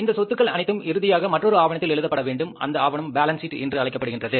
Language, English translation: Tamil, And where these assets are shown, these assets have to be finally recorded in the instrument called as the balance sheet